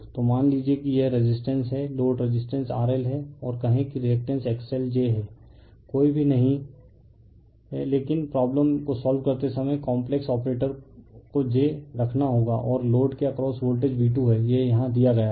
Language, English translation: Hindi, So, suppose it resistance that you load resistance is R L and say reactance is X L j is not put any have, but when you solve the problem you have to put j the complex operator and voltage across the load is V 2 it is given here, right